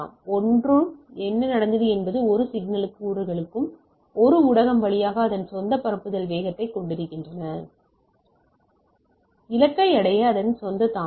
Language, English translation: Tamil, So, each what happened each signal component has its own propagation speed through a medium and therefore, its own delay arriving at the destination